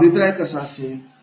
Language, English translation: Marathi, How is the feedback